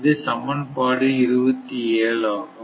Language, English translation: Tamil, So, this is actually equation 27, right